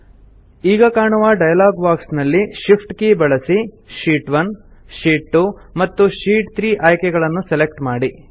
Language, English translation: Kannada, Now in the dialog box which appears, using shift key we select the options Sheet 1, Sheet 2, and Sheet 3